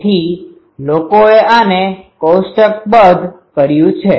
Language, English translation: Gujarati, So, people have tabulated these